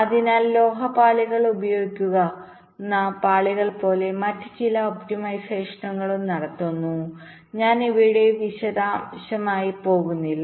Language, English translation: Malayalam, so there is some other optimizations which are also carried out, like ah, like the layers, we use the metal layers and i am not going with detail of these